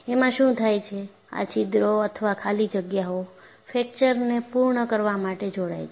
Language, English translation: Gujarati, And what happens is, these holes are voids, join up to complete the fracture